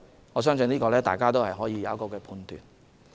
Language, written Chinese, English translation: Cantonese, 我相信大家自有判斷。, I believe Members will pass their own judgments